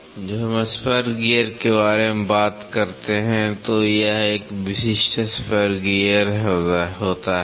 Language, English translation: Hindi, When, we talk about spur gear this is a typical spur gear